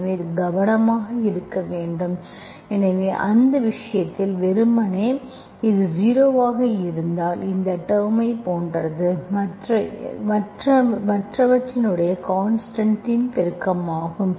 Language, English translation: Tamil, So this you have to be careful, so in that case, you simply, because that means if this is zero, this term is same as this term, it is just a constant multiple of other